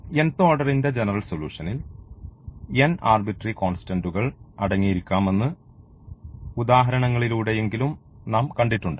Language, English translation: Malayalam, And in that we have seen at least through the examples that a general solution of nth order we will contain n arbitrary constants ok